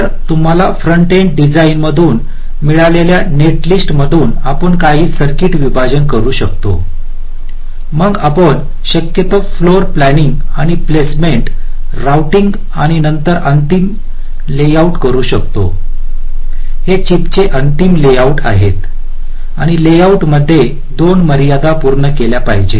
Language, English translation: Marathi, so from the netlist that you get from the front end design, we can do some circuit partitioning, then we can do possibly floor planning and placement, routing and then the final layout